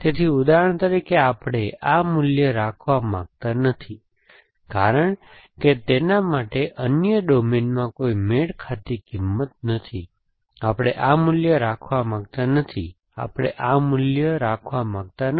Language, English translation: Gujarati, So, for example we do not want to keep this value because there is no matching value in the other domain, we do not want to keep this value, we do not want to keep this value